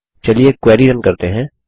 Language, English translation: Hindi, Now let us run the query